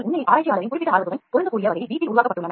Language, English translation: Tamil, Many systems are in fact, developed in house to match the specific interest of the researcher